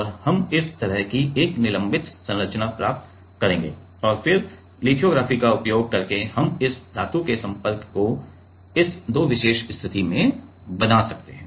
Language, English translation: Hindi, And, we will get a suspended structures like this and then using again lithography then we can make this metal contact at this two particular position